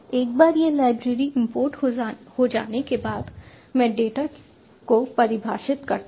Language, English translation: Hindi, once this library has been imported, i define the data i want to write to the file